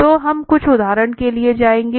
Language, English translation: Hindi, So we will go for some examples